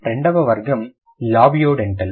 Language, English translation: Telugu, The second category is the labiodental